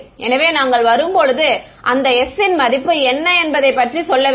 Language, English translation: Tamil, So, when we come down to implementing we have to say what is the value of that s right